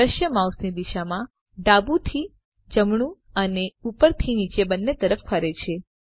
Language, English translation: Gujarati, The scene pans in the direction of the mouse movement both left to right and up and down